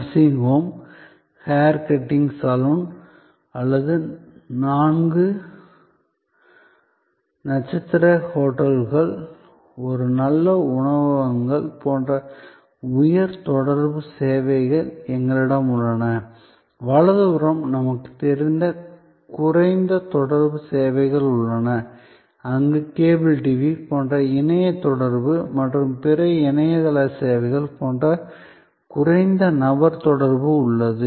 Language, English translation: Tamil, We have the high contact services like nursing home are hair cutting saloon or a four star hotel are a good restaurant and known the right hand side we have low contact services, where there is low person to person contact like cable TV are internet banking and other internet base services and so on